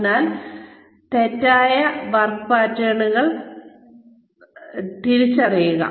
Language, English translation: Malayalam, So, identify faulty work patterns